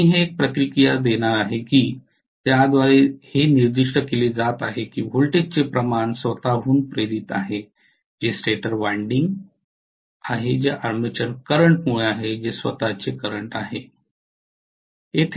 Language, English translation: Marathi, So I am going to have a reactance which is specifying what is the amount of voltage induced in its own self that is the stator winding itself which is due to the armature current that is its own current